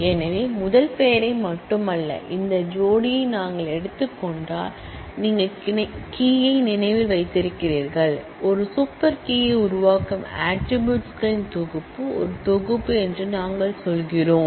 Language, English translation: Tamil, So, we are saying that not only the first name, but if we take this pair, you remember the key, the set of attributes forming a super key is a set